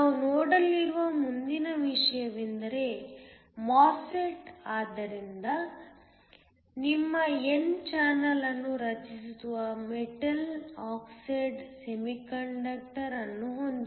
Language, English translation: Kannada, The next thing we are going to look at is a MOSFET, so we have a metal oxide semiconductor which creates your n channel